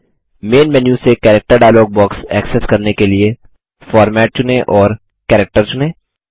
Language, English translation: Hindi, To access the Character dialog box from the Main menu, select Format and select Character